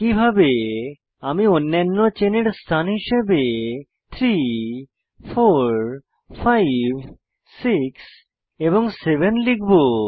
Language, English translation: Bengali, Likewise I will number the other chain positions as 3, 4, 5, 6 and 7